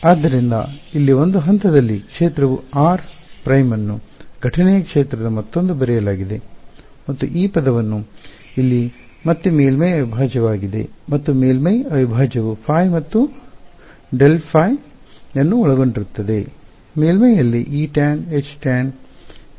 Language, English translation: Kannada, So, the field at some point over here r prime is written as a sum of the incident field and this term over here which is a surface integral again and that surface integral includes phi and grad phi which are E tan H tan on the surface